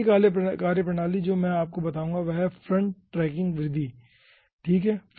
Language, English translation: Hindi, the first methodology i will be telling you is, ah, front tracking method